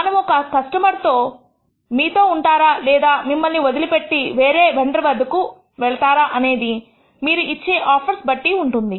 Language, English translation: Telugu, We want to know whether a customer will continue to remain with you or will leave you for another vendor, based on whatever offers that you are making